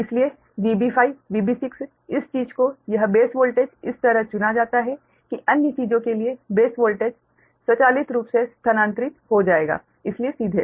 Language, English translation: Hindi, therefore, v b five, v b six, this thing, this base voltage, is chosen such that base voltage for other things automatically will be transfer right, so directly